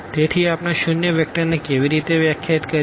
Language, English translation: Gujarati, So, what how do we define the zero vector